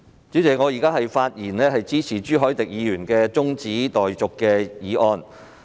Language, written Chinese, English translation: Cantonese, 主席，我發言支持朱凱廸議員提出的中止待續議案。, President I speak in support of the adjournment motion proposed by Mr CHU Hoi - dick